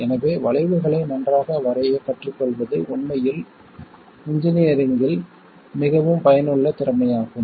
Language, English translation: Tamil, So learning to sketch curves well is actually a very useful skill in engineering